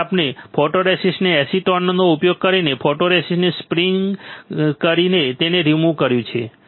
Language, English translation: Gujarati, So, we have remove this photoresist by stripping it in by stripping the photoresist using acetone